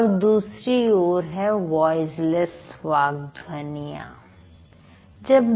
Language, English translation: Hindi, Then there are voiceless speech sounds